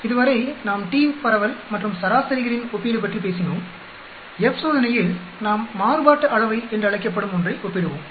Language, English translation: Tamil, So far we talked about t distribution and comparing means, in the F test we compare something called variances